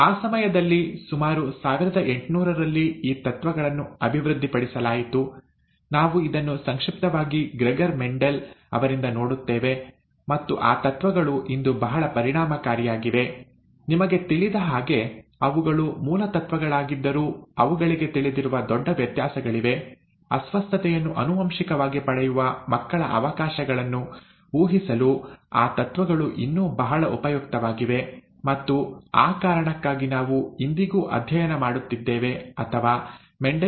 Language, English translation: Kannada, It was during that time, late eighteen hundreds, that these principles were developed; we will very briefly look at it by Gregor Mendel, seminal piece of work, and those principles are very effective today, although they are, you know basal principles and there are huge variations known to them, those principles are still very useful to do this, to be able to predict a child’s chances to inherit a disorder; and that is the reason we are studying or we are looking at Mendelian Genetics even today